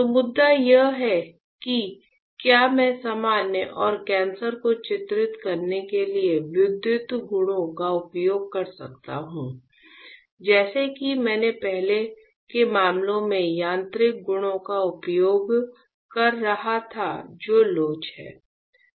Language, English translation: Hindi, So, the point is can I use electrical properties to delineate normal and cancer like I was using in earlier cases mechanical properties which are elasticity